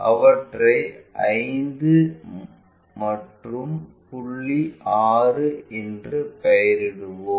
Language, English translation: Tamil, Let us name them 5 and point 6